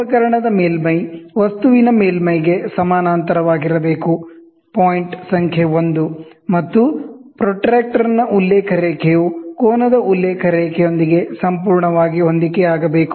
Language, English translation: Kannada, The surface of the instrument should be parallel to the surface of the object, point number 1; and the reference line of the protractor should coincide perfectly with the reference line of the angle, ok